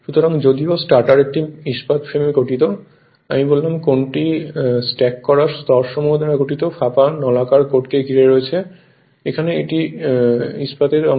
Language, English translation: Bengali, So, though stator consist of a steel frame; I told which encloses the hollow cylindrical code made up of stacked laminations right, here it is here it is and this is your steel part right